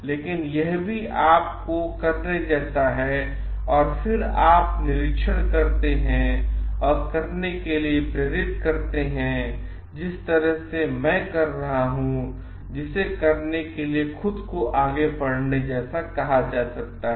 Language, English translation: Hindi, But it is also like myself doing and then you observe and motivate to get to the way that I am doing which is called self like leading by doing